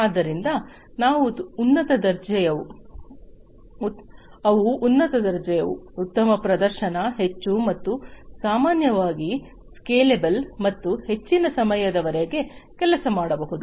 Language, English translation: Kannada, So, they are high grade, better performing, highly and normally highly scalable, and can work for longer durations of time